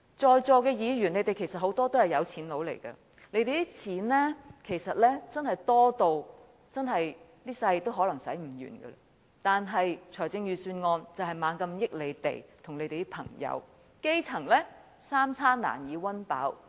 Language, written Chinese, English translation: Cantonese, 在座很多議員其實也是有錢人，他們的錢其實真的可能多得一輩子也花不完，但財政預算案卻不斷惠及他們和他們的朋友，而基層則三餐難以溫飽。, Members who are present here are actually rich people . They have so much money that they are unable to spend all of it throughout their lives . Nevertheless the Budgets have continued to benefit these people and their friends whereas the grass roots can hardly ensure that they are well fed and well clad